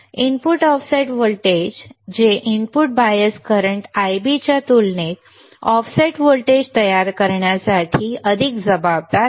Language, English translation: Marathi, Input offset voltage which is more responsible for producing an offset voltage compared to input bias current Ib right